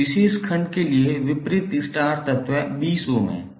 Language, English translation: Hindi, For this particular segment, the opposite star element is 20 ohm